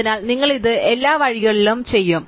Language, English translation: Malayalam, So, you will do this all the way along the paths